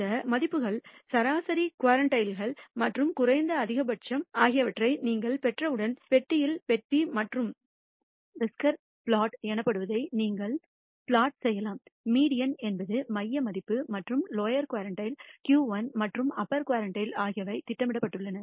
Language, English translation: Tamil, And once you have these values, the median, the quartiles and the minimum maximum, you can plot what is called the box and whisker plot in the box the median is the center value and the lower quartile Q 1 and the upper quartile is also plotted